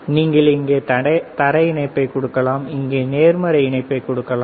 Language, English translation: Tamil, You can give the ground here, positive here and so forth